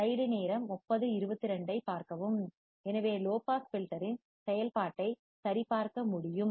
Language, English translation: Tamil, So, thus the operation of a low pass filter can be verified